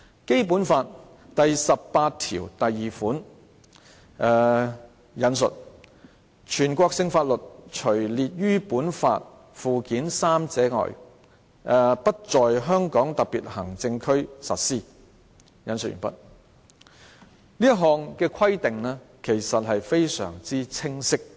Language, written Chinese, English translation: Cantonese, 《基本法》第十八條第二款訂明，"全國性法律除列於本法附件三者外，不在香港特別行政區實施"，這項規定其實非常清晰。, Article 182 of the Basic Law stipulates that National laws shall not be applied in the Hong Kong Special Administrative Region except for those listed in Annex III to this Law . This provision is in fact very clear